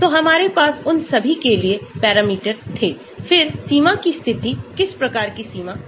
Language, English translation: Hindi, so we had parameters for all of them, then the boundary conditions, what type of boundary conditions